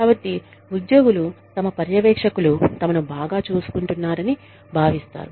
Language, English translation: Telugu, So, the employees feel, that the supervisors, their supervisor are taking, good care of them